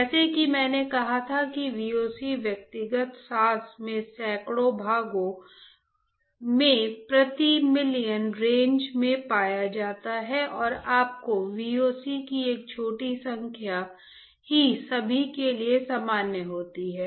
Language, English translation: Hindi, Like I said the VOCs are found in individual breath in hundreds of parts per million range and only a small number of your VOCs are common to everyone